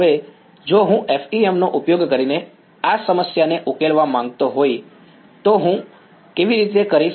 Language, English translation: Gujarati, Now, if I wanted to solve this problem using FEM, how would I do it